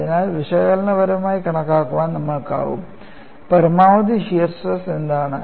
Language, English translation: Malayalam, So, we would be in a position to analytically calculate, what is the maximum shear stress